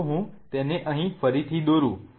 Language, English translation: Gujarati, Let me just redraw it here